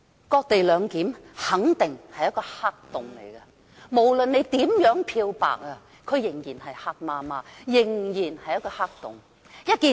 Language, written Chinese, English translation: Cantonese, "割地兩檢"肯定是一個黑洞，無論如何漂白，仍然是漆黑一片的黑洞。, Ceding Hong Kong land for co - location is definitely a black hole . It is still totally dark no matter how the co - location arrangement is bleached